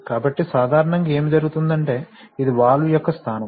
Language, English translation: Telugu, So normally what is happening is that this is the position of the valve